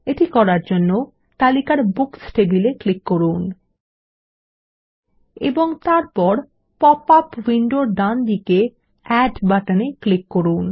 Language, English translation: Bengali, We will do this by clicking on the Books table in the list and then clicking on the Add button on the right in the popup window